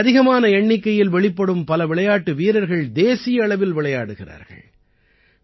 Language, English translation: Tamil, A large number of players are emerging from here, who are playing at the national level